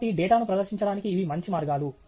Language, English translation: Telugu, So, these are good ways to present some data